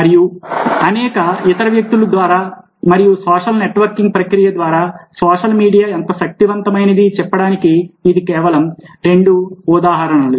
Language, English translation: Telugu, and these are just two examples of how powerful social media can be through a process of social network